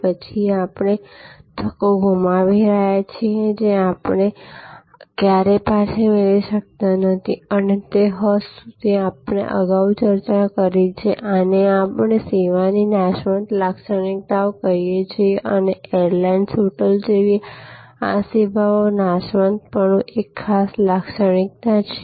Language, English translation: Gujarati, Then, we are losing opportunities, which we can never get back and to that extent we are discussed earlier that this is what we call the perishable characteristics of service and these services like airlines, hotels are particularly sustainable to this characteristics, this perishability